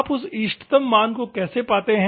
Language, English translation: Hindi, How do you find that optimum value